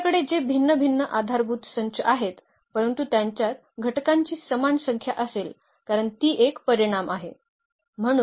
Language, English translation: Marathi, So, whatever you have different different set of basis, but they will have the same number of elements because that is the n that is a dimension